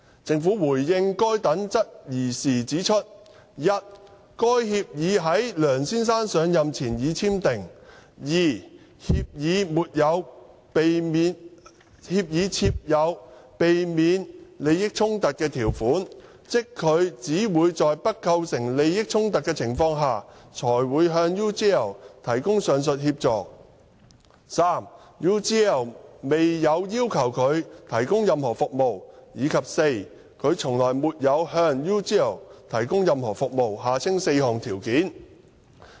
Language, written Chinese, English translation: Cantonese, 政府回應該等質疑時指出 ：i 該協議在梁先生上任前已簽訂；協議設有避免利益衝突條款，即他只會在不構成任何利益衝突的情況下，才會向 UGL 提供上述協助 ；UGL 未有要求他提供任何服務；以及他從來沒有向 UGL 提供任何服務。, In response to such queries the Government pointed out that i the agreement had been entered into before Mr LEUNG took office; ii the agreement contained a clause providing for the avoidance of conflict of interests ie . he would provide the aforesaid assistance to UGL only under the situation that such assistance would not create any conflict of interests; iii UGL had not requested him to provide any services; and iv he had never provided any services to UGL